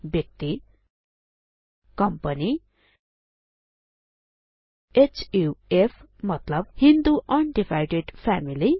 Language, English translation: Nepali, Person Company HUF i.e Hindu Un divided Family